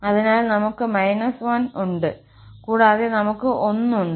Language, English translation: Malayalam, So, we have minus 1 and we have plus 1